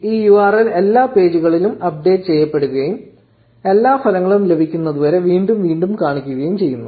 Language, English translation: Malayalam, This URL keeps getting updated at every page and keeps on showing up again and again until all the results have been obtained